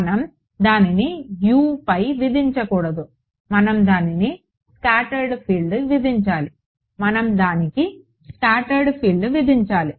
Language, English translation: Telugu, We should not be imposing it on U we should be imposing it on scattered field right